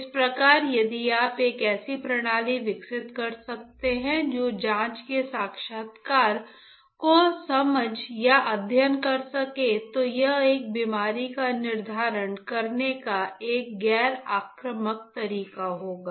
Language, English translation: Hindi, Thus if you can develop a system that can understand or study the breath signature then it will be a noninvasive way of determining a disease